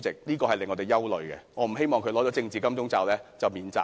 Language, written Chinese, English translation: Cantonese, 這點是令我們憂慮的，我不希望他拿到"政治金鐘罩"便可免責。, This is worrying for I do not wish to see him enjoying immunity upon being granted this political all - round protective shield